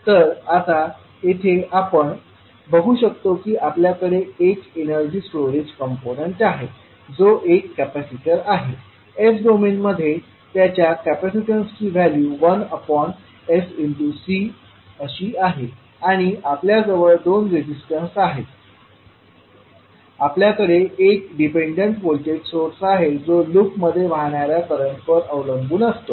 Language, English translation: Marathi, So now here you see that you have one energy storage component that is capacitor, 1 by sC is the value of the capacitance in s domain and we have 2 resistances we have one dependent voltage source which depends upon the current flowing in the loop